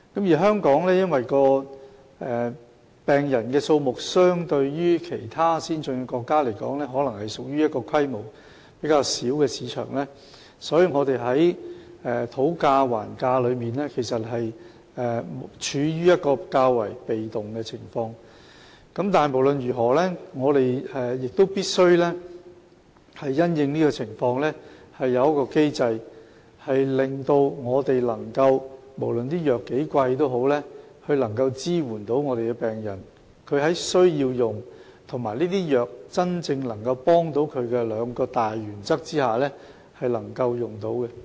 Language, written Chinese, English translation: Cantonese, 就病人的數目而言，與其他先進國家相比，香港是一個規模較小的市場，所以在討價還價的過程中，我們處於較為被動的位置，但不管怎樣，我們亦必須因應情況設立機制，務求不論藥物有多昂貴，也能支援病人，讓病人在需要服用藥物及藥物對他們有真正幫助的這兩項大原則下，可以使用該等藥物。, In terms of the number of patients the market in Hong Kong is smaller in scale when compared with other advanced countries . Hence during the bargaining process we are in a relatively passive position . In any case however we must set up a mechanism in response to the circumstances so that no matter how expensive the drugs are we can still support the patients and enable them to take these drugs under the two major principles that they need to take the drugs and the drugs can really help them